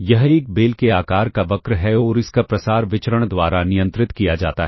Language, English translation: Hindi, It is a bell shaped curve and the spread of this is controlled by the variance